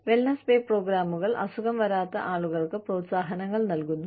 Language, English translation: Malayalam, Wellness pay programs are provide, incentives for people, who do not fall sick